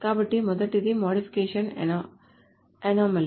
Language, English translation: Telugu, So this is modification anomaly